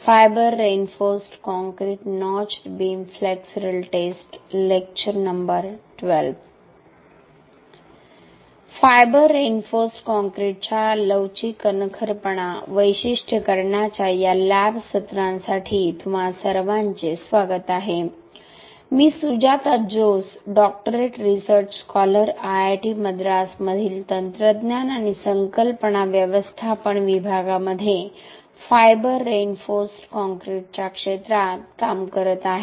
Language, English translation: Marathi, Welcome you all for these lab sessions of flexural toughness characterisation of fiber reinforced concrete, I am Sujata Jose, Doctoral research scholar, working in the area of fiber reinforced concrete in building technology and conception management division in IIT Madras